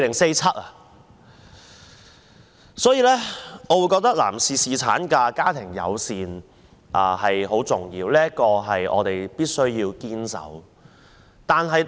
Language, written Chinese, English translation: Cantonese, 因此，我覺得男士侍產假及家庭友善政策很重要，我們必須堅守。, I thus think that paternity leave and family - friendly policies are very important and we must stand to uphold them firmly